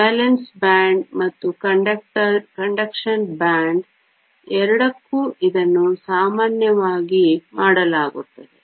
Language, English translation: Kannada, This is typically done for both the valence band and the conduction band